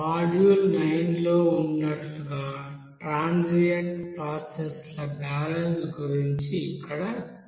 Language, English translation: Telugu, Here we will discuss about the balances on transient processes as a module 9